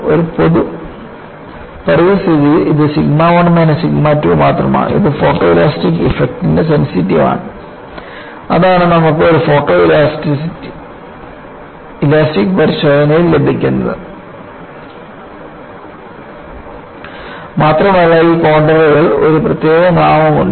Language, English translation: Malayalam, In a generic environment, it is only sigma 1 minus sigma 2 is sensitive to photoelastic effect and that is what you get in a photoelastic test, and these contours also have a special name